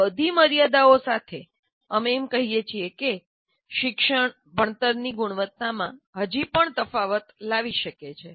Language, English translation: Gujarati, So with all these limitations, we claim or we say a teacher can still make a difference to the quality of learning